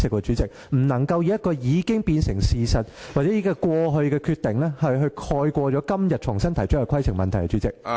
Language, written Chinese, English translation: Cantonese, 主席，你不能以一個既成的事實或過去的決定，蓋過今天重新提出的規程問題。, President you must not resort to any fait accompli or past decision as a means of overriding the point of order raised afresh today